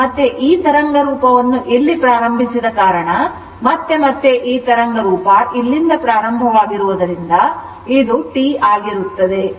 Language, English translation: Kannada, Again, because this wave form is started here and again this wave form starting here, this is T right